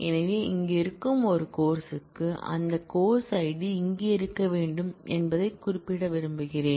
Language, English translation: Tamil, So, for a course that exists here I want to specify that that course Id must be present here